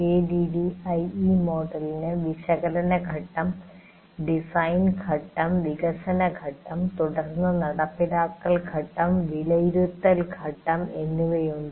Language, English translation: Malayalam, ADD model has analysis phase, design phase, development phase followed by implement phase and evaluate phase